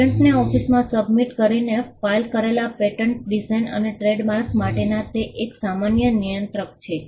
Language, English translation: Gujarati, It is a common controller for pattern designs and trademarks, filed by submitting to the office